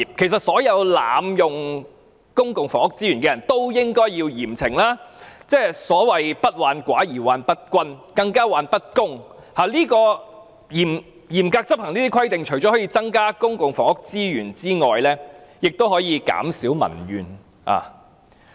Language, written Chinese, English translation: Cantonese, 其實所有濫用公共房屋資源的人也應該嚴懲，所謂不患寡而患不均，更是患不公，而嚴格執行這些規定除可增加公共房屋資源外，亦可減少民怨。, While we often say that the problem is not with scarcity but with uneven distribution I think the problem is more serious with unfairness . If rules can be strictly enforced public housing resources can be increased and public grievances can also be reduced